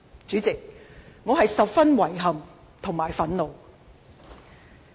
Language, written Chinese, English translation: Cantonese, 主席，我感到十分遺憾和憤怒。, President I feel very sorry and frustrated about the whole incident